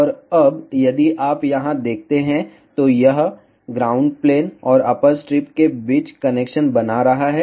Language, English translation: Hindi, And now, if you see here, this via is making connection between ground plane and the upper strip